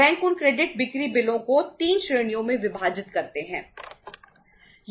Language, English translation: Hindi, Banks divide those credit sale bills into 3 categories